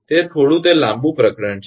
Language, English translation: Gujarati, It is a it is a little bit longer chapter